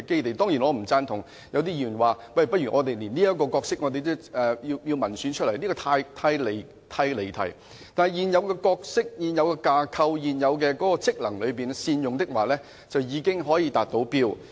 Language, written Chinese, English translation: Cantonese, 我當然不贊同一些議員說連這個角色也不如經民選選出，這意見十分離題，而且只要能夠善用現有的角色、架構和職能，便已經可以達到目的。, Certainly I do not subscribe to the view as espoused by some Members that such District Officers should be returned by popular elections . Such a view is way off the mark . So if only we can make the best use of the existing roles structures and functions we can achieve our goals